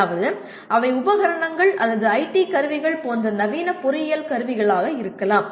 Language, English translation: Tamil, That means they can be modern engineering tools like equipment or IT tools